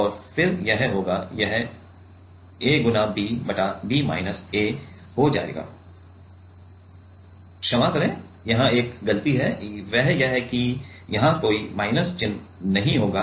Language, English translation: Hindi, And then it will be, it will be a b divided by b minus a sorry there is one mistake, that is there will be no negative here